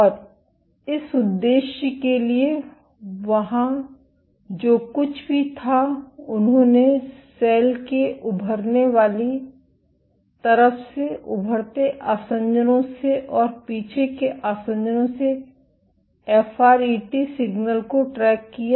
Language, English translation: Hindi, And for this purpose, what there was they tracked the FRET signal from the protruding side of the cell, from protruding adhesions and retracting adhesions